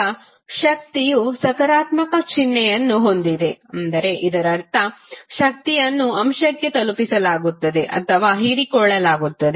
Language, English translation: Kannada, Now, the power has positive sign it means that power is being delivered to or absorbed by the element